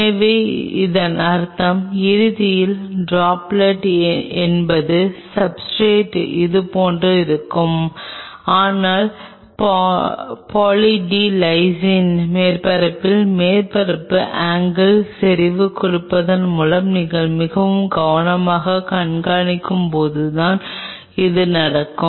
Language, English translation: Tamil, So, it means eventually the droplet us of will be more like this on the substrate, but then that will only happen when you very carefully monitor the surface angle on Poly D Lysine surface by giving concentration